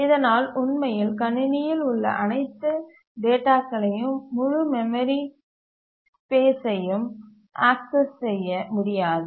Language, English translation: Tamil, It cannot really access the entire memory space